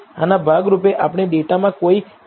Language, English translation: Gujarati, As a part of this, we are going to look at are there any bad measurements in the data